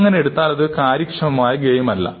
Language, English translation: Malayalam, That would not be an effective game